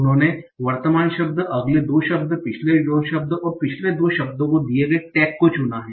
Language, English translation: Hindi, We have chosen the current word, the next two words, the previous two words, and the tax given to the previous two words